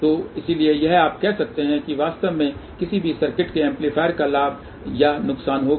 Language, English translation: Hindi, So, hence this you can say will actually give the gain of the amplifier or loss of any given circuit